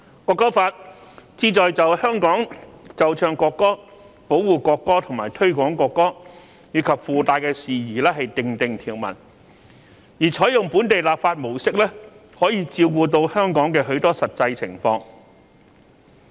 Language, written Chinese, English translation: Cantonese, 《條例草案》旨在就在香港奏唱國歌、保護國歌和推廣國歌，以及附帶的事宜訂定條文，而採用本地立法模式，可以照顧到香港的許多實際情況。, The objects of the Bill are to provide for the playing and singing of the national anthem in Hong Kong; for the protection of the national anthem; for the promotion of the national anthem; and for incidental matters . The approach of enacting local legislation is adopted to take care of many actual circumstances in Hong Kong